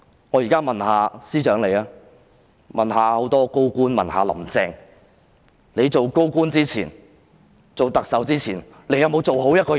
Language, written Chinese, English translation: Cantonese, 我現在問司長、眾多高官和"林鄭"，你們在當高官及特首前，有否做好一個人？, I now ask the Chief Secretary various senior government officials and Carrie LAM Before taking up office as senior government officials and the Chief Executive were you decent human beings?